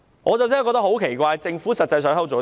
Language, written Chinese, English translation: Cantonese, 我真的感到很奇怪，政府實際上在做甚麼？, It really strikes me as strange . What exactly is the Government doing?